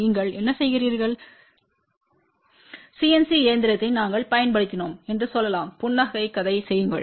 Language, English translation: Tamil, What you do you actually get it fabricated let us say we had use cnc machine to do the fabrication